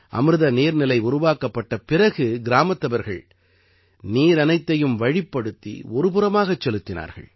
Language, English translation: Tamil, To make the Amrit Sarovar, the people of the village channelized all the water and brought it aside